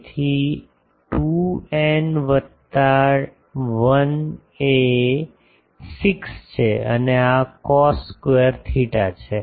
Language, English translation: Gujarati, So, 2 n plus 1 is 6 and this is cos square theta